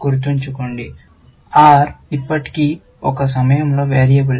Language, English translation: Telugu, Remember, R is still a variable at this point of time